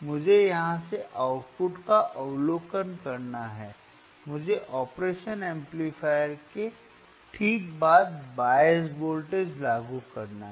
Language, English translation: Hindi, I hadve to observe the output from here, right I hadve to apply the bias voltage across the across the operation amplifier alright